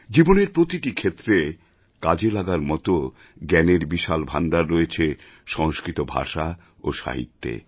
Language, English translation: Bengali, Sanskrit language & literature encompasses a storehouse of knowledge pertaining to every facet of life